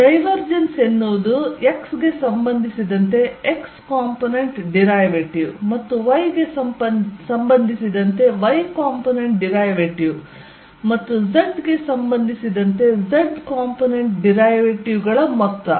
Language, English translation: Kannada, The divergence that is sum of the x component derivatives with respect to x plus the y component derivative with respect to y and z component z derivatives with respect to z